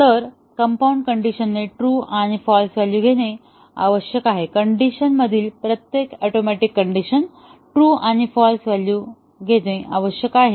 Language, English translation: Marathi, So, the compound condition must take true and false value; every atomic condition in the decision must take true and false value